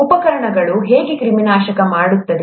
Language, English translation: Kannada, How are instruments sterilized